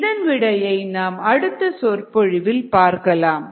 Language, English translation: Tamil, we will of course see the solution in the next lecture